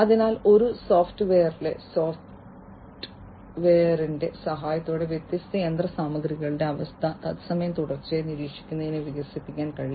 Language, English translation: Malayalam, So, with the help of software in a software can be developed to basically monitor the condition of the different machinery in real time continuously and so, on